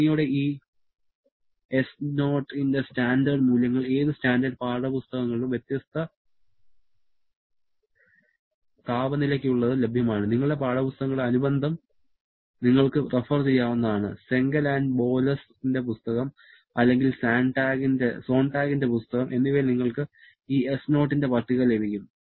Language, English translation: Malayalam, Thankfully, standard values of this S0 are available for different temperature levels in any standard textbooks, you can refer to the appendix of your textbooks, the book of Cengel and Boles or the book of Sonntag you will have the table of this S0